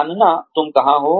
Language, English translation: Hindi, Knowing, where you are